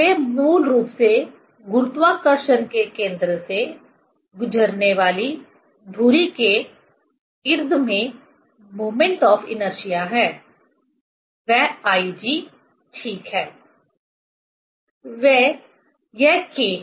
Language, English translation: Hindi, They are basically that I G moment of inertia about the axis passing through the center of gravity; that is I G, ok